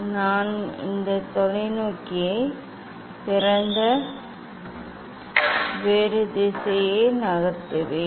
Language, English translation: Tamil, I will unlock this telescope and move other direction